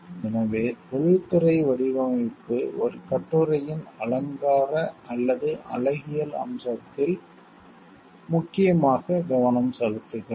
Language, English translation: Tamil, So, industrial design focuses mainly on the ornamental or aesthetic aspect of the article